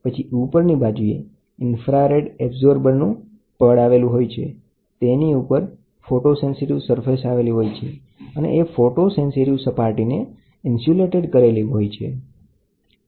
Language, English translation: Gujarati, And then, on top of it, you will have an infrared absorber layer, then the photosensitive surface is put on top of it and this one is insulated